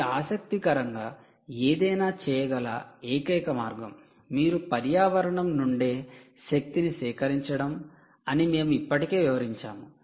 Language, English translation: Telugu, the only way can you do something interesting, which we already explained now, that you can actually harvest energy from the environment itself